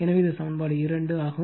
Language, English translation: Tamil, So, this is equation 2 right